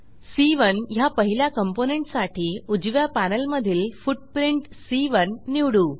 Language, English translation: Marathi, For the first component C1, we will choose the footprint C1 from right panel